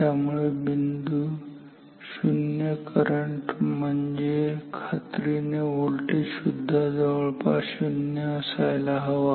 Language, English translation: Marathi, So, this point 0 current means definitely the voltage must also be 0